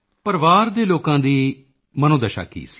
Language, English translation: Punjabi, How were family members feeling